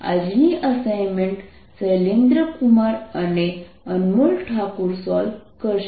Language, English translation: Gujarati, today's assignment will be solved by shailendra kumar and anmol thakor